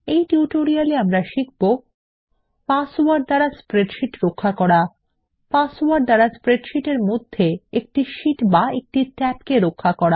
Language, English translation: Bengali, In this tutorial we will learn how to: Password protect a spreadsheet Password protect a single sheet or a tab in a spreadsheet